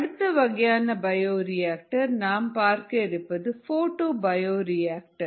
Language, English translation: Tamil, the next kind of bioreactor that i would like to talk about is what is called a photobioreactor